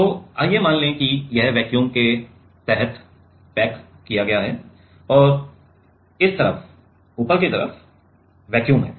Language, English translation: Hindi, So, let us assume that this is packaged under vacuum and this side the top side is vacuum ok